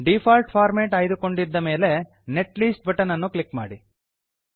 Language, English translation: Kannada, Keep Default format option checked and click on Netlist button